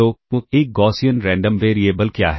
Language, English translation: Hindi, So, what is a Gaussian random variable